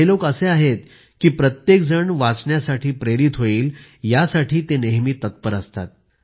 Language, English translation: Marathi, These are people who are always eager to get everyone inspired to study